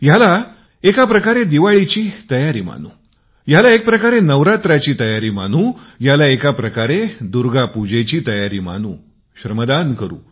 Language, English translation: Marathi, We could look at this as preparations for Diwali, preparations for Navaratri, preparations for Durga Puja